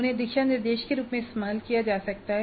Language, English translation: Hindi, They can be used as guidelines